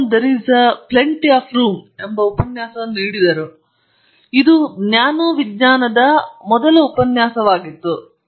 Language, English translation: Kannada, The lecture was titled There is a Plenty of Room at The Bottom; it was the first lecture on nano science